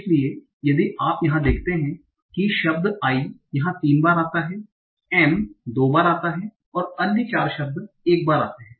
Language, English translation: Hindi, So if you see here the word I occurs thrice, M occurs twice, and the other four words occur once